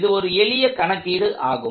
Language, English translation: Tamil, So, this is a fairly simple problem